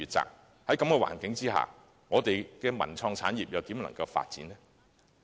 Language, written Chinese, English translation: Cantonese, 在這種環境下，我們的文創產業如何能發展呢？, Under such circumstances how can our cultural and creative industries develop?